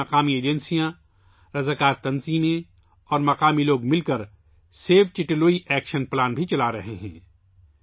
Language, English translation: Urdu, For this, local agencies, voluntary organizations and local people, together, are also running the Save Chitte Lui action plan